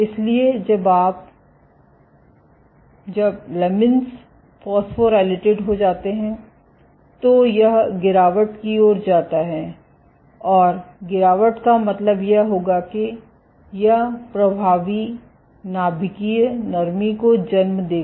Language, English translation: Hindi, So, when you when lamin gets phosphorylated, it leads to degradation, and degradation would mean that it would lead to effective nuclear softening ok